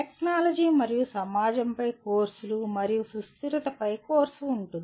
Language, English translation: Telugu, Also courses on technology and society and there can be course on sustainability